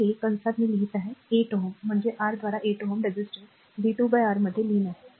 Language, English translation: Marathi, So, bracket I am writing a power this 8 ohm means power absorbed in the 8 ohm resistor v square by R